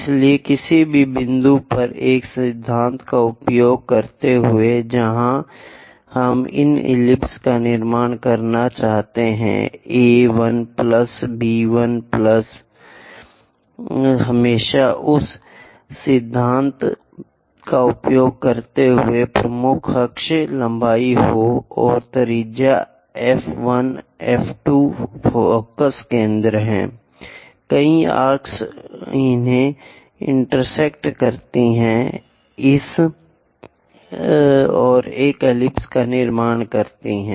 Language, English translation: Hindi, So, using a principle any point where we would like to construct these ellipse A 1 plus B 1 always be major axis length using that principle and radius is F 1 F 2 the foci centres, make many arcs intersect them and construct an ellipse this is